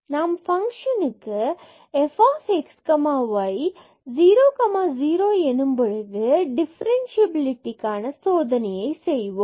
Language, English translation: Tamil, Because the function is defined as the value is 0 when x y not equal to 0